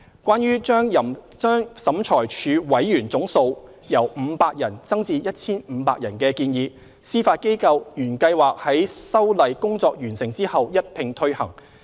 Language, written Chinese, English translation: Cantonese, 關於把審裁處委員總人數由500人增至 1,500 人的建議，司法機構原計劃在修例工作完成後一併推行。, Regarding the proposal to increase the total number of adjudicators from 500 to 1 500 the Judiciary originally planned to implement it upon enactment of the legislative amendments